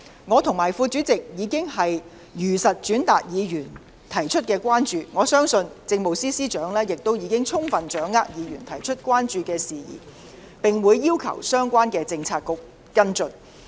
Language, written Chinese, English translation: Cantonese, 我和副主席已如實轉達議員提出的關注，相信政務司司長已充分掌握議員提出的關注事宜，並會要求相關的政策局跟進。, I and the Deputy Chairman have already relayed Members views truthfully and I believe that the Chief Secretary for Administration has fully understood their concerns and will urge the relevant bureaux to respond accordingly